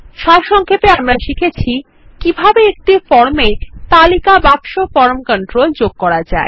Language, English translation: Bengali, So in this tutorial, we will learn how to add a List box form control to our form